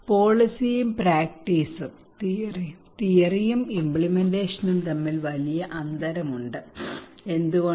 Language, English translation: Malayalam, There is a huge gap between policy and practice, theory and implementation why